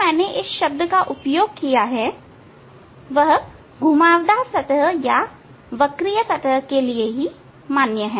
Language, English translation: Hindi, That tangent I have used this word is valid for the curved surface